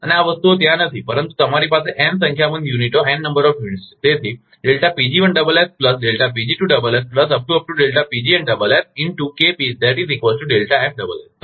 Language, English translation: Gujarati, And these things are not there, but you have n number of units